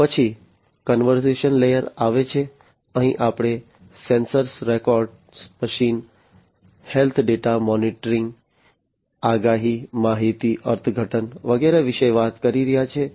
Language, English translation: Gujarati, Then comes the conversion layer, here we are talking about sensor records, you know, machine health data monitoring, prediction, information interpretation, and so on